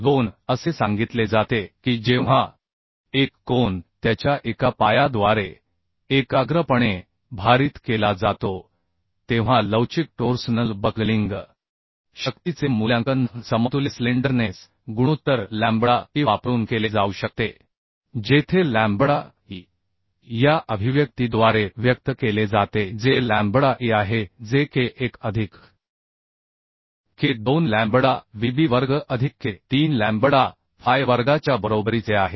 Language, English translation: Marathi, 2 it is told that when the single angle is loaded concentrically through through one of the its leg the flexural torsional buckling strength may be evaluated using an equivalent slenderness ratio lambda E where lambda E is expressed by these expression which is lambda E is equal to square root of k1 plus k2 lambda vv square plus k3 lambda phi square So this expression you can find out in IS 800:2007 clause 7